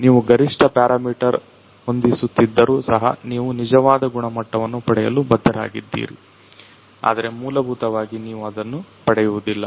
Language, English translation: Kannada, Even though you are setting the optimum parameter, you know that you are not you are bound to get the true quality, but essentially you know you won’t get it